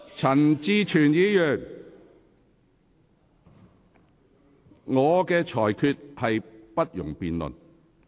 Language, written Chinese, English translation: Cantonese, 陳志全議員，我的裁決不容辯論。, Mr CHAN Chi - chuen my ruling is not subject to debate